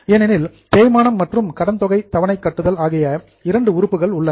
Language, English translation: Tamil, Because there are two items, depreciation and amortization